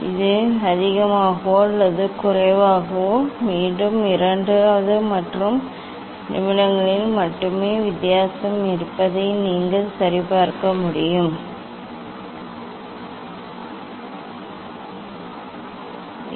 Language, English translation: Tamil, And this more or less again you should check they will have only difference in second or minutes and then take average of this 6 data